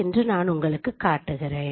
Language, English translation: Tamil, So let me show you